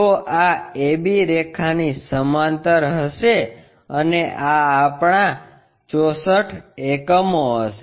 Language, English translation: Gujarati, So, this will be parallel to a b line and this will be our 64 units